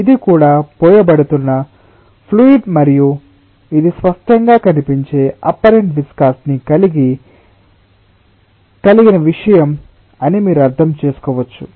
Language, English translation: Telugu, so this is also a fluid that is being poured and you can clearly appreciate that this is something which is of high apparent viscosity